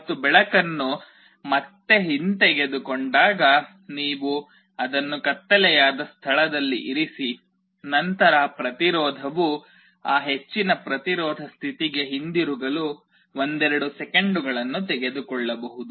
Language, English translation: Kannada, And when light is withdrawn again you put it in a dark place, then it can take a couple of seconds for the resistance to go back to that high resistance state